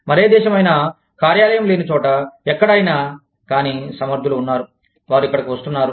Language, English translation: Telugu, Any other country, where there is no office, where, but there are competent people, who are coming here